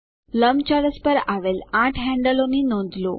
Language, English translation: Gujarati, Notice the eight handles on the rectangle